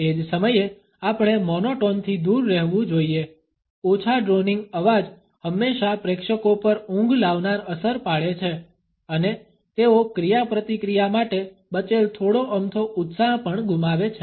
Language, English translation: Gujarati, At the same time we should avoid monotone a low droning voice always has a soporific impact on the audience and makes them lose whatever little enthusiasm they may have for the interaction